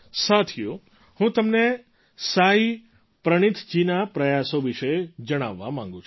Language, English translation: Gujarati, Friends, I want to tell you about the efforts of Saayee Praneeth ji